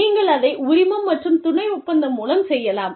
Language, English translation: Tamil, So, you could do it, through licensing and subcontracting